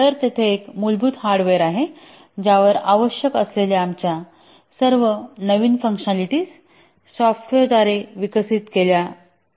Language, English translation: Marathi, So there is a basic hardware on which all our new functionalities that are required are developed by software